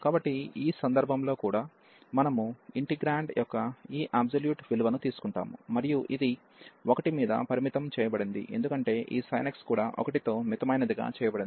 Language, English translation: Telugu, So, in this case even we take this absolute value of the integrand, and this is bounded by 1 over because this sin x is bounded by 1